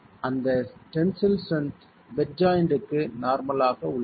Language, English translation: Tamil, This is the tensile strength normal to the bed joint itself